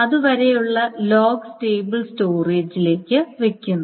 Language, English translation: Malayalam, So, the log up to that point is being put to the stable storage